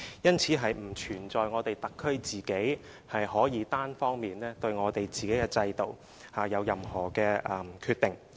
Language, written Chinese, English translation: Cantonese, 因此，並不存在特區可以單方面對自己的制度作任何決定。, Therefore there is no question of the HKSAR unilaterally making any decision on its systems